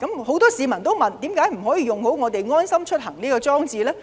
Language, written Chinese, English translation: Cantonese, 很多市民提出，為何不善用"安心出行"這個應用程式呢？, Many members of the public also question why the Government does not make good use of the LeaveHomeSafe app?